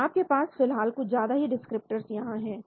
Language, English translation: Hindi, So then you have actually you have too many descriptors right